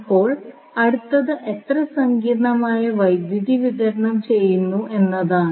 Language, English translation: Malayalam, Now, next is how much complex power is being supplied